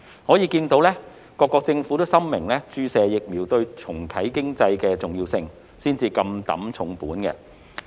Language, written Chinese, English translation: Cantonese, 可見各國政府深明注射疫苗對重啟經濟的重要性，才會如此不惜工本。, It can thus be seen that the governments of various countries are well aware of the importance of vaccination to restarting the economy and are ready to pay a high price for it